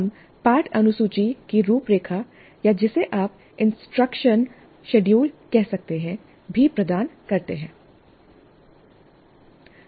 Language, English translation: Hindi, We also provide an outline of the lesson schedule or what you may call as instruction schedule